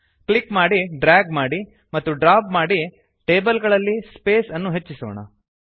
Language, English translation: Kannada, By clicking, dragging and dropping, let us introduce more space among the tables